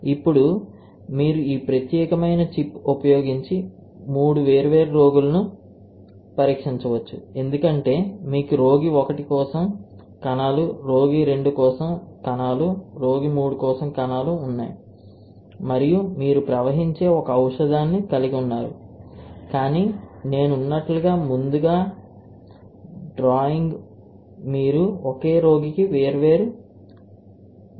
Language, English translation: Telugu, Now, for the given patient you can test 3 different patients for this particular chip, right because you have cells for patient 1, cells for patient 2, cells for patient 3 and you have a single drug that you are flowing, but like I was drawing earlier you can test different drugs for the same patient